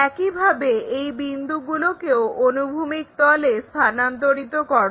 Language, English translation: Bengali, Now, transfer all these points on the horizontal plane